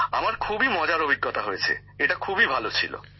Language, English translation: Bengali, My experience was very enjoyable, very good